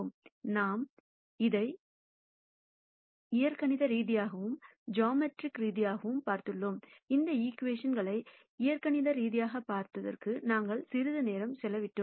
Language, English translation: Tamil, We have looked at it both algebraically and geometrically, we have spent quite a bit of time on looking at these equations algebraically